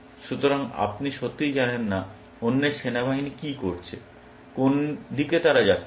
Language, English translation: Bengali, So, you do not really know what the other’s army is doing; which side they were moving